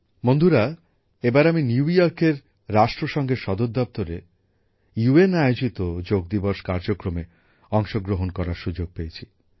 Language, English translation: Bengali, Friends, this time I will get the opportunity to participate in the Yoga Day program to be held at the United Nations Headquarters in New York